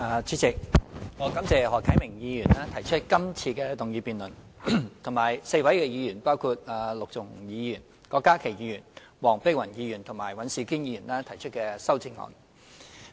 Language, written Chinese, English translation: Cantonese, 主席，我感謝何啟明議員提出今次的議案辯論，以及4位議員，包括陸頌雄議員、郭家麒議員、黃碧雲議員和尹兆堅議員提出修正案。, President I thank Mr HO Kai - ming for proposing this motion debate and four Honourable Members namely Mr LUK Chung - hung Dr KWOK Ka - ki Dr Helena WONG and Mr Andrew WAN for proposing amendments